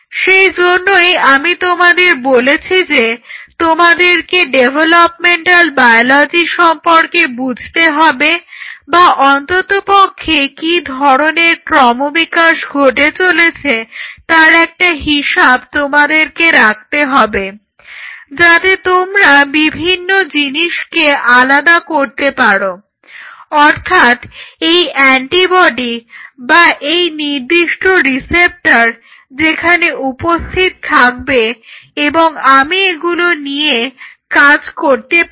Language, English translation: Bengali, So, that is what I say that you have to understand developmental biology or at least you should keep a tab how the development is happening so that you can separate out things you know exactly this antibody or this particular receptor will be there I can utilize I can capitalize on it